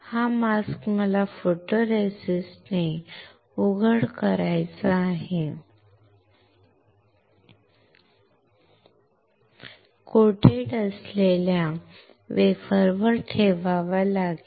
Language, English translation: Marathi, This mask, I had to put on the wafer which is coated with photoresist